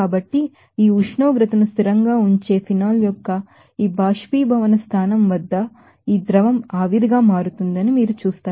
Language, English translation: Telugu, So, at this boiling point of phenol keeping this temperature constant you will see that this liquid will become vapor